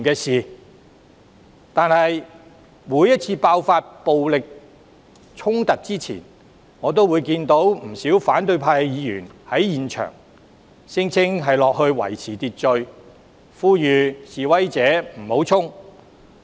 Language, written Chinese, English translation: Cantonese, 然而，每次爆發暴力衝突前，我都看到不少反對派議員在場，聲稱要維持秩序，呼籲示威者不要衝擊。, Yet every time when violent clashes were about to break out there would invariably be a number of opposition Members on scene ostensibly for purposes of maintaining order and dissuading protesters from charging